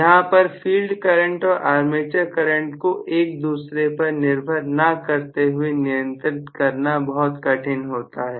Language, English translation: Hindi, So, very difficult to control the field current and armature currents independent of each other, it will not be possible for me to control those two